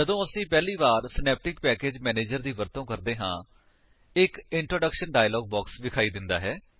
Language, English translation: Punjabi, When we use the synaptic package manager for the first time, an introduction dialog box appears